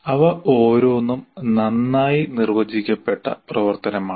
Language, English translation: Malayalam, Each one of them is a well defined activity